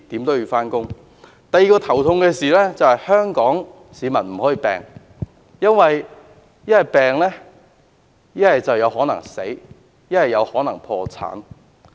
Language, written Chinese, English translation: Cantonese, 第二件令人頭痛的事，就是香港市民不可以生病，因為生病後有可能死亡，也有可能破產。, The second headache for Hong Kong people is that they are not supposed to fall ill because they may die or go bankrupt because of their illness